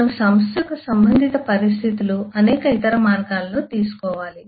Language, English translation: Telugu, we will need to take context of organisation in multiple other ways